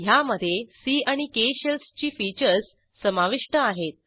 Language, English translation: Marathi, * It has features of C and K Shells